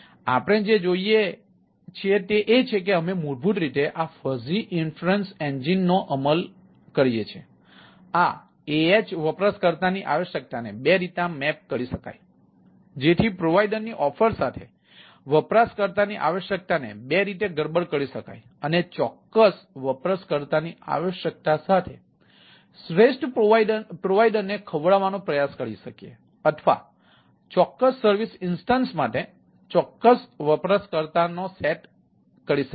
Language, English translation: Gujarati, so what we see, that ah, we basically implement ah, ah, this sort of a fuzzy inference engine in order to map these ah, ah user requirement two way to the rather mess, the user requirement with the providers, ah offerings, and try to feed the best provider with the ah with the user, ah with the particular user requirement, or set ah a for a particular user, ah of the ah for a particular service instances and what we like to look at